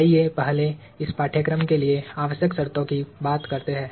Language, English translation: Hindi, Let us first talk of the prerequisites for this course